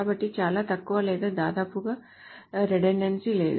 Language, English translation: Telugu, So there is very little or almost no redundancy